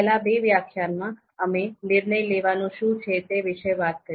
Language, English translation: Gujarati, So in previous two lectures, we talked about what is decision making